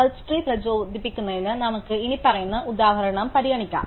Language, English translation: Malayalam, So, to motivate search trees let us consider the following example